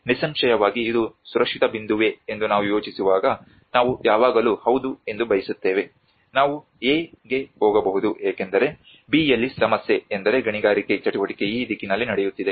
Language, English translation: Kannada, Obviously when we think about if it is a safer point we always prefer yes we may move to A because in B the problem is the mining activity is going in this direction